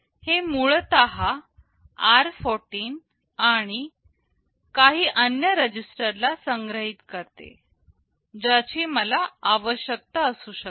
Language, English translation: Marathi, It essentially saves r14 and some other registers which I may be needing